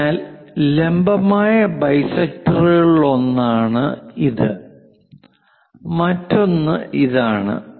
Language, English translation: Malayalam, So, one of the perpendicular bisector is this one, other one is this